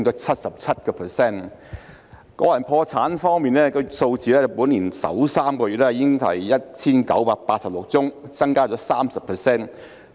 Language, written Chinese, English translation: Cantonese, 關於個人破產方面的數字，本年首3個月已是 1,986 宗，增加 30%。, The number of personal bankruptcies was 1 986 in the first three months of this year representing an increase of 30 %